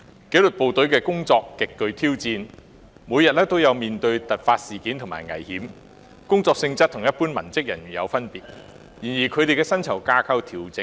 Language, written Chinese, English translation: Cantonese, 紀律部隊的工作極具挑戰，每天也須面對突發事件和各種危險，工作性質有別於一般文職工作。, The work of the disciplined services is extremely challenging in that they have to face emergencies and all sorts of hazards every day and the nature of their work is different from that of the general civilian tasks